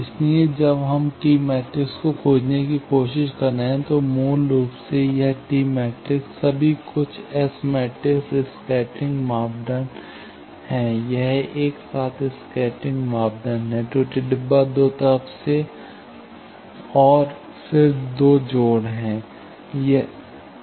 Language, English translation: Hindi, So, what we are trying to find when we are trying to find the T matrix, basically this T matrix all are something S matrix scattering parameter, it is together scattering parameter of the error box is two side and then the two connection